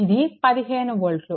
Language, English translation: Telugu, It is 15 volt